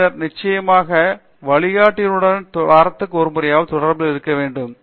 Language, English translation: Tamil, Then of course, the guide meeting with the guide at least once a week is what I would say